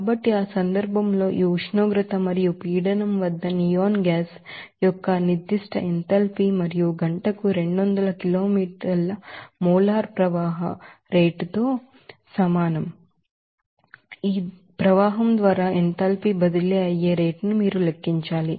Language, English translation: Telugu, So, in that case, you have to calculate what should be the specific enthalpy of the neon gas at this temperature and pressure and the rate at which that enthalpy is transferred by your stream with the molar flow rate of 200 kilometres per hour